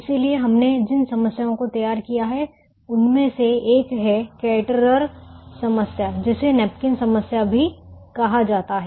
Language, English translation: Hindi, so one of the problems that we formulated is the caterer problem, also called the napkins problem